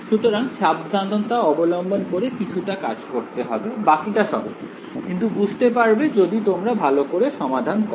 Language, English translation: Bengali, So, some amount of careful work is needed over there, then the rest is simple, but will get it you will solve it in great detail